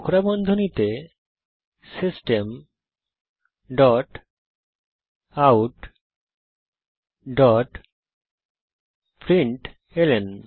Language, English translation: Bengali, Within curly brackets System dot out dot println